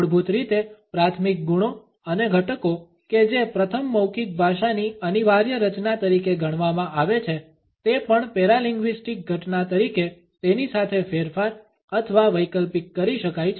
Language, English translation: Gujarati, Basically primary qualities and elements that while being first considered as indispensable constitutes of verbal language may also modified or alternate with it as paralinguistic phenomena